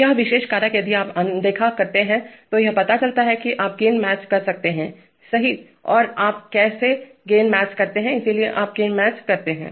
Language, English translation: Hindi, This particular factor if you ignore then it turns out that you can match the gains, right, and how do you match the gains, so you match the gains